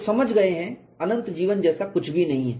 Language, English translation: Hindi, People have understood that nothing like an infinite life